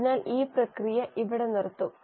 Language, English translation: Malayalam, So here the process will stop